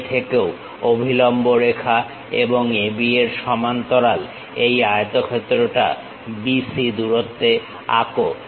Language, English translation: Bengali, Now, parallel to AB line draw one more line at a distance of BC